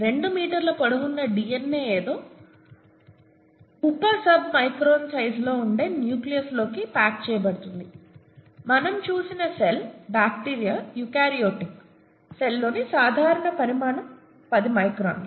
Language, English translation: Telugu, The 2 metres long DNA is somehow packed into the nucleus which is sub sub micron sized, okay, the cell itself we saw was the the in a eukaryotic cell that is a typical size is 10 micron, right